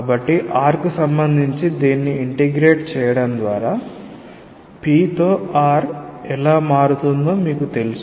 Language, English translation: Telugu, So, you know how p varies with r by integrating this with respect to r; when you integrate with respect to r z is fixed